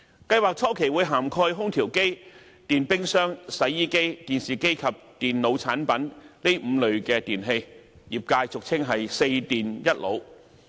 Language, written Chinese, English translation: Cantonese, 計劃初期會涵蓋空調機、電冰箱、洗衣機、電視機及電腦產品這5類電器，業界俗稱"四電一腦"。, The scheme will initially cover five categories of electrical equipment namely air conditioners refrigerators washing machines television sets and computer products commonly referred to as WEEE by members of the industry